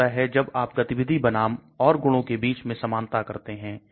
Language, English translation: Hindi, What happens is you need to balance between activity versus other properties